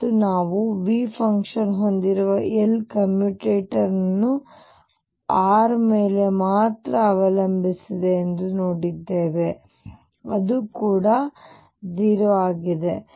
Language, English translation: Kannada, And we have just seen that L commutator with function V with that depends only on r it is also 0